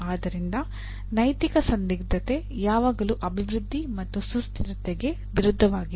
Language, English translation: Kannada, So the ethical dilemma is always development versus sustainability